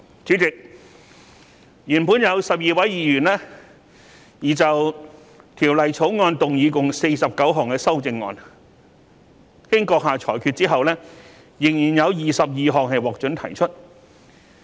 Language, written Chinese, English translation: Cantonese, 主席，原本有12位議員擬就《條例草案》動議共49項修正案，經閣下裁決之後，仍然有22項獲准提出。, President initially 12 Members have proposed to move a total of 49 amendments to the Bill and after your ruling 22 of them are still admissible